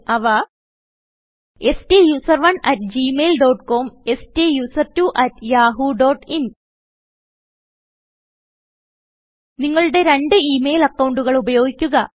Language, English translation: Malayalam, They are: STUSERONE at gmail dot com STUSERTWO at yahoo dot in We recommend that you use 2 of your email accounts